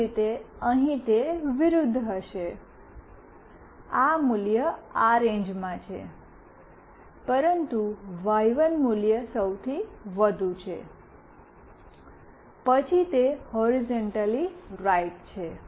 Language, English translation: Gujarati, Similarly, here it will be the opposite; this value is in this range, but y1 value is highest, then it is horizontally right